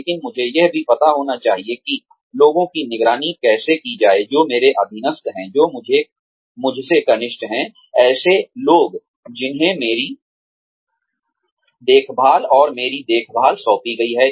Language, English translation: Hindi, But, I should also know, how to supervise people, who are subordinates to me, people, who are junior to me, people, who have been entrusted to my care, and my supervision